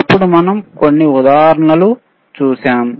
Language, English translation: Telugu, Then we have seen few examples